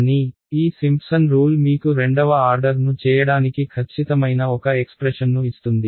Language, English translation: Telugu, But, this Simpson’s rule tells you gives you one expression which is accurate to order second order